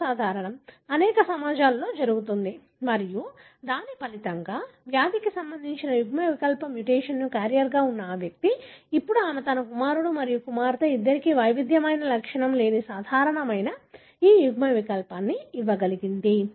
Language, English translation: Telugu, It is common, happens in many societies and as a result, this individual who was a carrier for the disease linked allele mutation, now she is able to give this allele to both her son and daughter who are heterozygous, asymptomatic normal